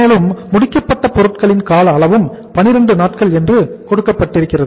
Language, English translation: Tamil, And duration of the finished goods is also given that is 12 days